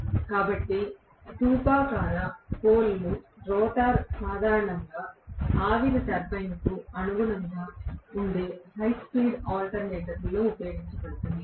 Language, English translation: Telugu, So, cylindrical pole rotor is normally used in high speed alternator which is corresponding to steam turbine, right